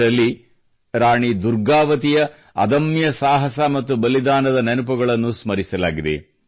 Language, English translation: Kannada, In that, memories of the indomitable courage and sacrifice of Rani Durgavati have been rekindled